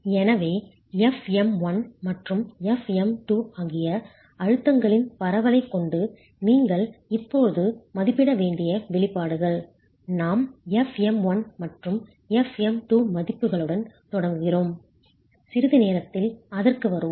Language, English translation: Tamil, So, the expressions you now need to be able to estimate, given this distribution of stresses, knowing fM1 and FM2, we start with FM1 and FM2 values and we'll come to that in a moment